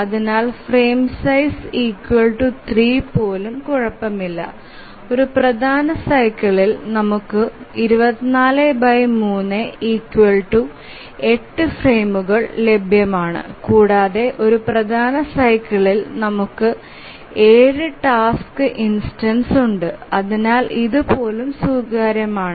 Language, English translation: Malayalam, So even frame size 3 is okay and we have 24 by 3 which is 8 frames available in one major cycle and we have 7 task instances in a major cycle and therefore even this is acceptable